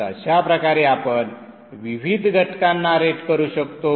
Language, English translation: Marathi, So this way you can rate the various components